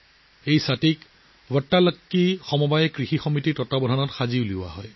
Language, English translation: Assamese, These umbrellas are made under the supervision of ‘Vattalakki Cooperative Farming Society’